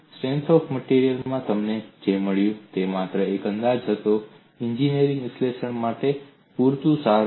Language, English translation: Gujarati, What you have got in strength of materials was only in approximation good enough, for engineering analysis